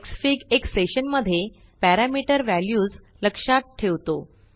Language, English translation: Marathi, Within a session, Xfig remembers the parameter values